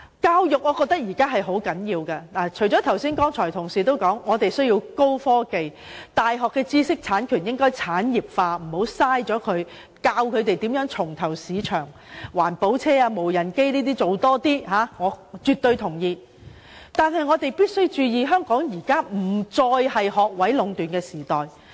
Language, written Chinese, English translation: Cantonese, 教育是非常重要的，除了剛才同事所說的高科技發展、大學知識產權產業化、教導年青人如何重投市場，例如開發環保車輛、無人飛機，我們也必須注意香港現時已再非學位壟斷的時代。, Education plays a very important part and apart from such issues raised just now by fellow colleagues on high technological development commercialization of intellectual property of universities helping young people to re - enter the market by developing environmentally friendly vehicle and unmanned aircraft attention should also be paid to the fact that Hong Kong is no longer a society dominated merely by academic qualifications